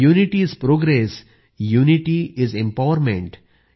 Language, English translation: Marathi, Unity is Progress, Unity is Empowerment,